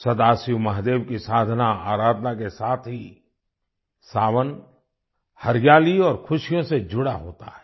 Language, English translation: Hindi, Along with worshiping Sadashiv Mahadev, 'Sawan' is associated with greenery and joy